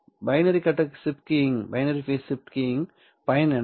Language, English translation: Tamil, What is the point of a binary phase shift keying